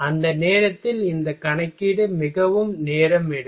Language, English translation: Tamil, Then at that moment this calculation is very time consuming